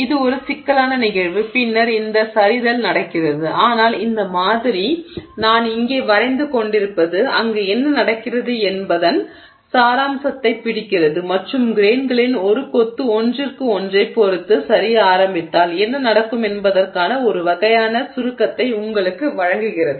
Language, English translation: Tamil, So it's a complex phenomenon that's happening there and then this sliding is happening but this model just what I'm drawing here sort of captures the essence of what is happening there and gives you some kind of summary of what will happen if a bunch of grains start sliding with respect to each other